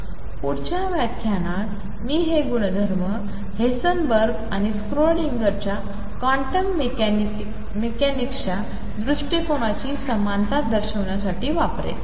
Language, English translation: Marathi, In the next lecture I will use these properties to show the equivalence of Heisenberg’s and Schrodinger’s approaches to quantum mechanics